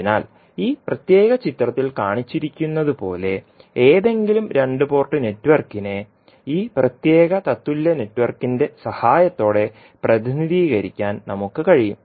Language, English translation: Malayalam, So, we can say the with the help of this particular equivalent network we can represent any two port network as shown in this particular figure so any two port network can be represented as a equivalent, as an equivalent network which would be represented like shown in the figure